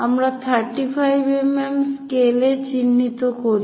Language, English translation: Bengali, So, let us mark 35 mm scale